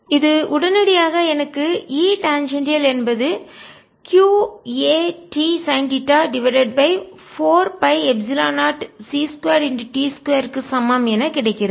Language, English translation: Tamil, and this immediately gives me: e tangential is equal to q a t sin theta divided by four pi, epsilon zero, c square, p square time c